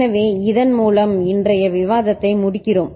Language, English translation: Tamil, So, with this we conclude today’s discussion